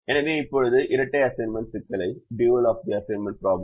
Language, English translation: Tamil, so now let us write the dual of the assignment problem